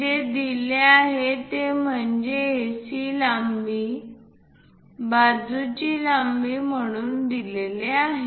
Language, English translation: Marathi, So, what is given is AC length is given as side length